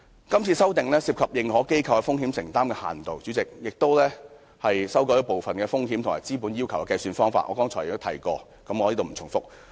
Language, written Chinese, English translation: Cantonese, 今次的修訂涉及認可機構的風險承擔的限度，代理主席，而且修改了部分風險和資本要求的計算方法，我剛才也提過，我不再重複。, The proposed amendments Deputy President concern the limits of financial exposures of AIs and change the calculation of some exposures and capital requirements which I have mentioned just now and will not repeat